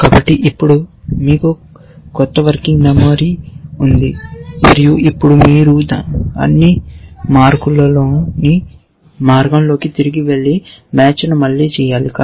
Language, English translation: Telugu, So, now you have a new working memory and now you have to go back all the way and do the match all over again